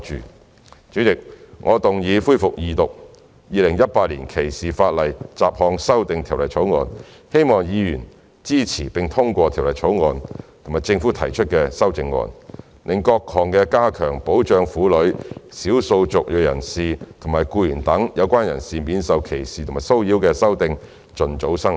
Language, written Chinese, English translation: Cantonese, 代理主席，我動議恢復二讀《條例草案》，希望議員支持並通過《條例草案》及政府提出的修正案，讓各項加強保障婦女、少數族裔人士及僱員等有關人士免受歧視和騷擾的修訂盡早生效。, Deputy President I move that the Second Reading of the Bill be resumed and urge Members to support and pass the Bill as well as the CSAs proposed by the Government so that the amendments of the ordinances can take effect expeditiously to better protect women ethnic minorities employees and other relevant people from discrimination and harassment